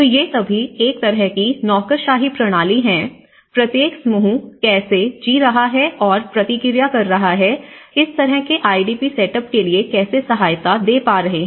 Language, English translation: Hindi, So, these are all a kind of bureaucratic system, how each group is living and how they are able to response, how they are able to give support for this kind of IDP setup